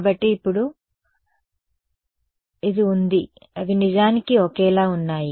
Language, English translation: Telugu, Right; so now, the there is yeah they are actually the same